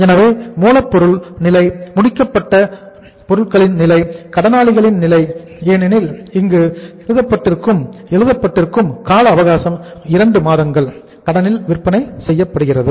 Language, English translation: Tamil, So raw material stage, finished goods stage, sundry debtor stage because it is written here that total time period is given sales at the 2 month’s credit